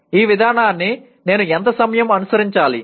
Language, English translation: Telugu, How much time should I follow this approach